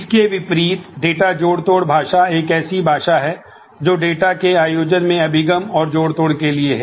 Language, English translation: Hindi, In contrast, the data manipulation language is a language for accessing and manipulating the data organized